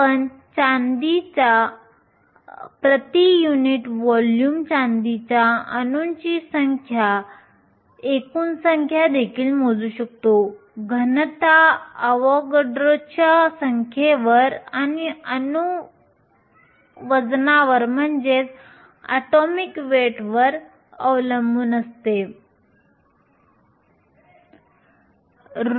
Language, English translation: Marathi, We can also calculate the total number of atoms that are there in silver number of atoms in silver per unit volume depends upon the density AvogadroÕs number and the atomic weight